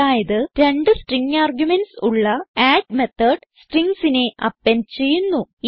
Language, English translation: Malayalam, So the add method with two string arguments, appends the string